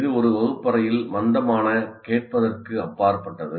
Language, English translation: Tamil, It is not merely, it is beyond passive listening in a classroom